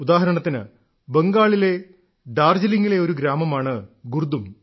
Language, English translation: Malayalam, Just as a village Gurdum in Darjeeling, West Bengal